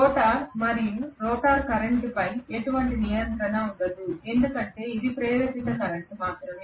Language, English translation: Telugu, The rotor we will not have any control over the rotor current because it is only an induced current